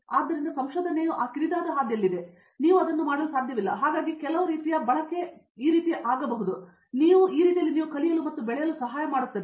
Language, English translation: Kannada, So, research is within that narrow path and you cannot you cannot, so meandering has some use I mean you can go this way and that way helps you learn and grow